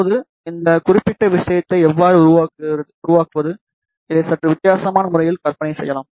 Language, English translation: Tamil, Now, how do we construct this particular thing, this can be imagined in a slightly different way